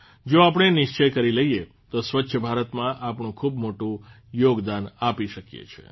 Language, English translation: Gujarati, If we resolve, we can make a huge contribution towards a clean India